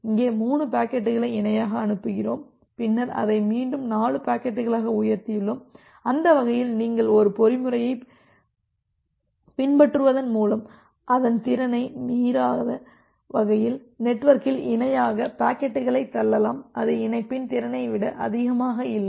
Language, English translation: Tamil, So, here we are sending 3 packets in parallel, then again we have increased it to 4 packets and that way, you can push the packets parallelly in the network such that by following a mechanism, such that it does not exceed the capacity of that particularly link